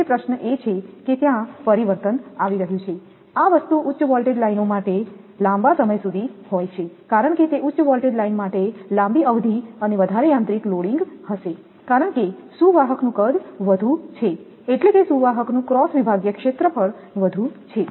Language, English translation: Gujarati, So, question is that there is a change, this thing for high voltage lines having longer span because for high voltage line, that span will be longer and greater mechanical loading because, conductor size is more that mean cross sectional area of the conductor is more